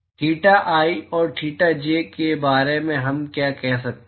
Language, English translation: Hindi, What can we say about theta i and theta j